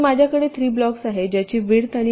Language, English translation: Marathi, so i have hm, three blocks whose width and heights are known